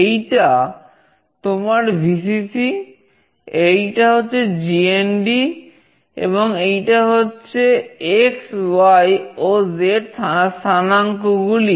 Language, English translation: Bengali, You have this Vcc, we have this GND, and we have x, y and z coordinates